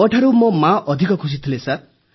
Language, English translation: Odia, My mother was much happier than me, sir